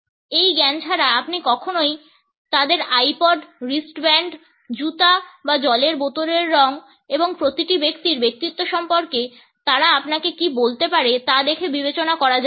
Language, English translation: Bengali, Without this knowledge you would never consider the colors of their iPods, wristbands, shoes or water bottles and what they can tell you about each person’s personality